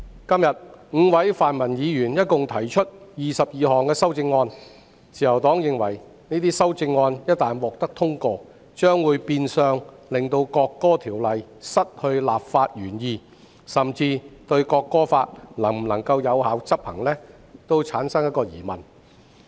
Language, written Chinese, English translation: Cantonese, 今天 ，5 位泛民議員共提出22項修正案，自由黨認為這些修正案一旦獲得通過，將會變相令《國歌條例草案》失去立法原意，甚至《國歌法》能否有效執行也成疑。, Five Members of the pro - democracy camp have proposed 22 amendments today . The Liberal Party believes that the passage of these amendments will violate the legislative intent of the National Anthem Bill the Bill and render the effectiveness of the National Anthem Law questionable